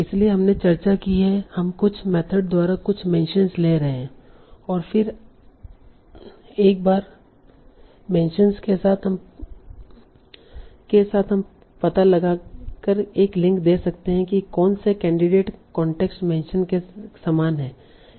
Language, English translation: Hindi, Now, so we have discussed, we can take some mentions by some method and then once we have the mentions we can also give a link by finding out which of the candidates are similar with the context mentions